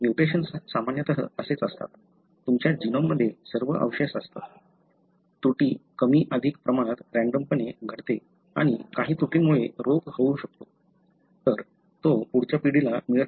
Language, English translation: Marathi, So, mutations are normally like that, you have the residues all over in your genome, the error happens more or less randomly and some errors, can cause a disease, therefore it does not get to the next generation